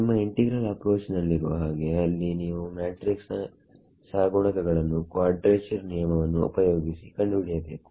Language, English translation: Kannada, Like in your integral equation approach there you had to calculate the matrix coefficients by using quadrature rule